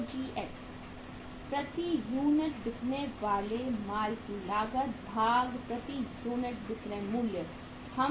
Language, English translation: Hindi, COGS cost of goods sold per unit divided by the selling price per unit